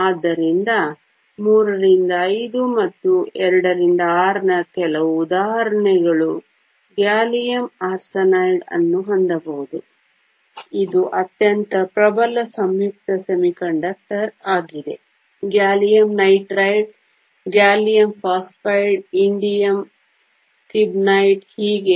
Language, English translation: Kannada, So, some examples of III V and II VI can have gallium arsenide which is the most dominant compound semiconductor; gallium nitride, gallium phosphide, indium stibnite and so on